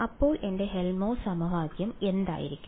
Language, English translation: Malayalam, So, what will my Helmholtz equation be